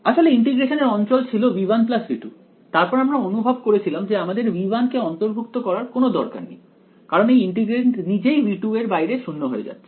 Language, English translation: Bengali, It was in the originally the region of integration was v 1 plus v 2 then we realise we do not need to also include v 1 because that integrand is itself go into 0 outside v 2 right